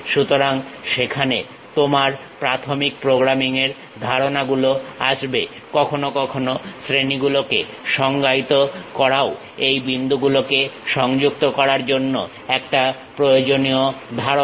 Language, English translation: Bengali, So, there your basic programming a concept comes into picture; sometimes defining class is also useful concept for this connecting these points